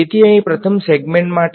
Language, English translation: Gujarati, So, for the first segment over here